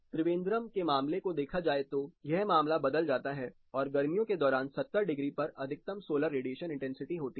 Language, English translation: Hindi, Considering the case of Trivandrum, the case changes the maximum solar radiation intensity during summer occurs at 70 degrees